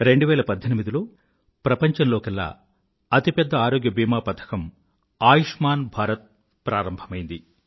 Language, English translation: Telugu, The year 2018 saw the launching of the world's biggest health insurance scheme 'Ayushman Bharat'